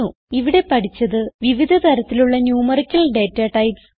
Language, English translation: Malayalam, In this tutorial we have learnt about the various numerical datatypes